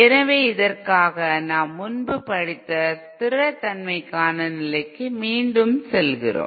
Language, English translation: Tamil, So for this we go back to the condition for stability that we have studied earlier